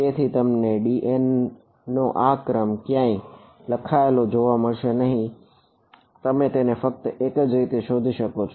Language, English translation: Gujarati, So, you will not find this order of d n written anywhere you will only find it as